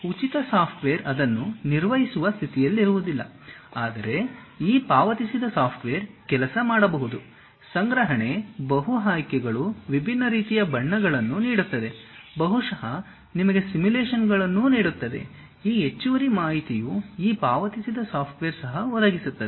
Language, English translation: Kannada, Free software may not be in a position to handle it, but these paid softwares may work, in terms of storage, multiple options, giving different kind of colors, may be giving you simulations also, this extra information also this paid softwares provide